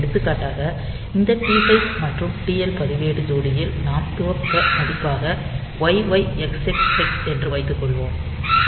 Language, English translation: Tamil, For example, suppose the value that I have initialized with this this TH and TL register pair is YYXX hex